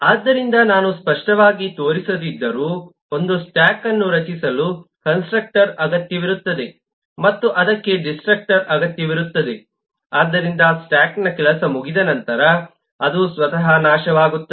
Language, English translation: Kannada, so, though I have not explicitly shown, a stack will need a constructor to create a stack and it will need a destructor so that it can destroy itself when the job of the stack is over